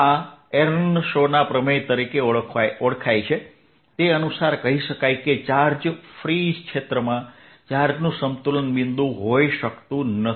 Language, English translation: Gujarati, this is know b the way as earnshaw's theorem, that in a charge free region, a charge cannot have an equilibrium point